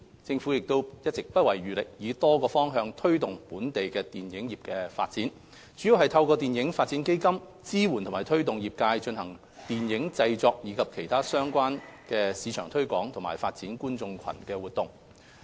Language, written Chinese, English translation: Cantonese, 政府一直不遺餘力以多種方向推動本地電影業發展，主要是透過電影發展基金，支援和推動業界進行電影製作，以及其他市場推廣及發展觀眾群的活動。, The Government has been sparing no efforts in promoting the development of local film industry on all fronts mainly through the Film Development Fund FDF to support and promote film productions and other marketing and audience - building activities